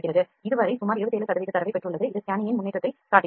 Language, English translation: Tamil, So, it has received around 27 percent of data till this point this is scanning is happening this is showing the progress of the scanning